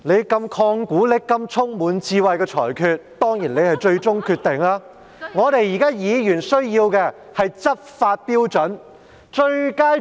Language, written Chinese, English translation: Cantonese, 主席，你如此曠古爍今、充滿智慧的裁決，當然是最終決定，但我們議員現在需要的是執法標準。, President your ruling is so brilliant and so wise that it must be the final decision . However we as Members need to know how you apply RoP